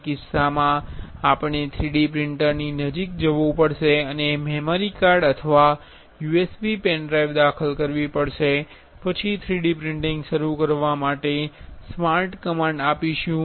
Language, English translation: Gujarati, In that case, we have to go near that 3D printer and insert the memory card or USB pen drive then have to start command give command for start 3D printing